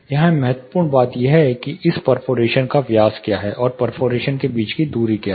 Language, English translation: Hindi, Here the critical thing is, what is a diameter this perforation, and what is a distance between the perforation